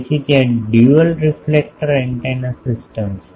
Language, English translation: Gujarati, So, there thing is dual reflector antenna system